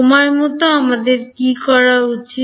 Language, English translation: Bengali, What about in time what should we do